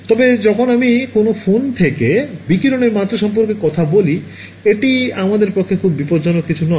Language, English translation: Bengali, But when I am talking about the radiation levels from a phone it is ok, it is not something very dangerous for us